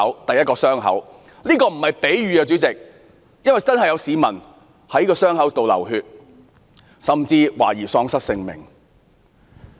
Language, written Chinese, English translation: Cantonese, 主席，這並非比喻，因為真的有市民受傷流血，甚至喪失性命。, President the word wound is not used as a metaphor because some people did get hurt or even died